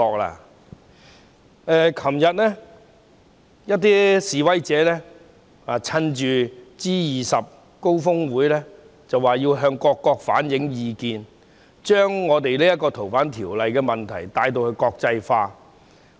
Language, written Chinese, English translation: Cantonese, 昨天，一批示威者趁着 G20 峰會，說要向各國反映意見，把《條例草案》的問題國際化。, Yesterday a group of protesters internationalized the issue of the Bill by claiming to reflect views to other countries on the occasion of the G20 Osaka Summit